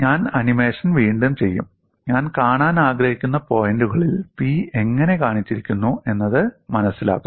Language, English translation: Malayalam, I will redo the animation, the points which I want to look at is, how P has been shown